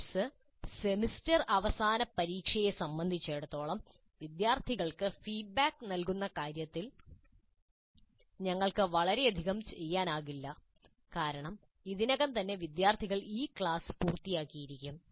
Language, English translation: Malayalam, And with respect to semistudent examination, of course, there is not much we can do in terms of providing feedback to the students because already the students have completed this class